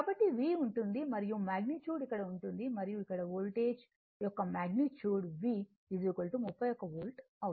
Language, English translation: Telugu, So, that means, V will be is and magnitude will be here and this magnitude of the Voltage here magnitude of the Voltage will be V is equal to right